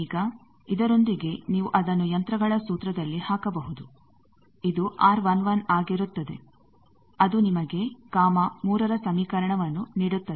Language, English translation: Kannada, Now, with this you can put it inventions formula R 11 will be this that will give you these equation, gamma 3